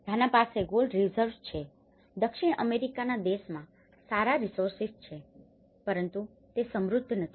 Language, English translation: Gujarati, Ghana have the gold reserves the South American countries have good resource but they are not very rich